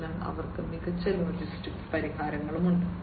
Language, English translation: Malayalam, So, they have the smart logistics solutions